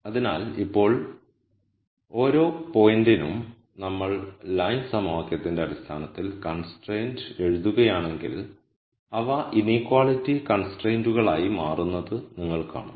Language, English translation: Malayalam, So, now, notice that for each point if we were to write the condition in terms of the equation of the line and then you would see that these become inequality constraints